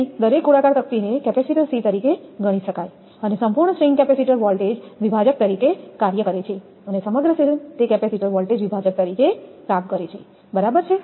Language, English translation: Gujarati, So, each disc can be considered as a capacitor c and the complete string act as a capacitor voltage divider the whole string it acts as a capacitor voltage divider right